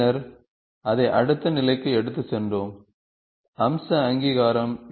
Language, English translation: Tamil, Then we have done this, then we have taken it to the next level, feature recognition